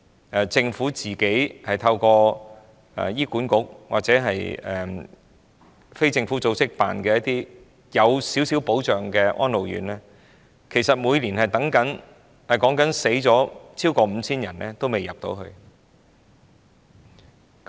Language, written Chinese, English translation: Cantonese, 在輪候入住政府透過醫院管理局或非政府組織營辦，較有保障的安老院的人士當中，每年均有逾 5,000 人中途逝世，至死仍未能入住院舍。, Among those who are queuing up for admission to more trustworthy homes for the aged subsidized by the Government and operated by the Hospital Authority or non - government organizations over 5 000 passed away each year while waiting for a place in these institutions